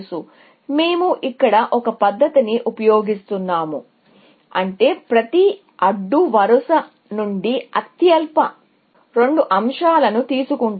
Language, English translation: Telugu, So, we will just use one method here, which is that we will take the lowest two elements from every row, essentially